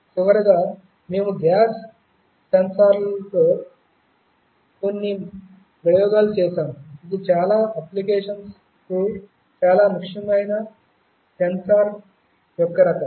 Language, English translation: Telugu, And lastly we had some experiments with gas sensors, which is also very important kind of a sensor for many applications